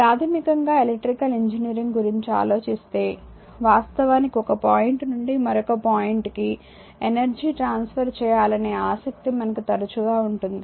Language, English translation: Telugu, So, and basically if you think about electrical engineering we are often interested that actually electrical transfer in energy from one point to another